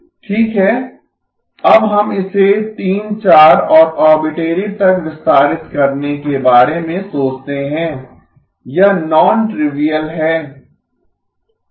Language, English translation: Hindi, Well, let us think of now extending it to 3, 4 and arbitrary, it is non trivial